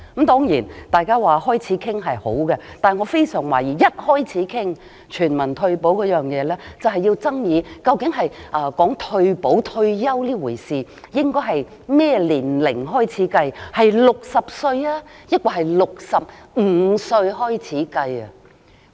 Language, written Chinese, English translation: Cantonese, 當然，大家開始討論也是一件好事，但我很懷疑一開始討論全民退保，我們就會爭議究竟退休年齡應該定在多少歲，應該是由60歲抑或65歲起計算？, Of course it is good to start the discussion on this matter but I am worried that when we start discussing universal retirement protection it will lead to a dispute on the age of retirement . Shall it be set at 60 or 65? . According to the existing regulations of MPF the accrued benefits can be withdrawn only when the scheme member has reached the age of 65